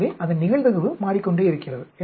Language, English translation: Tamil, So, the probability of that keeps changing